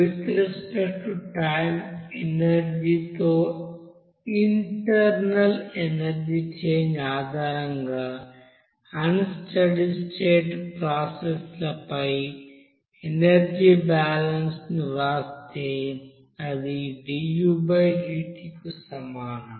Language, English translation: Telugu, Now if we write that energy balance on unsteady state processes, we can simply write based on that this internal energy change with respect to time that will be is equal to dU/dt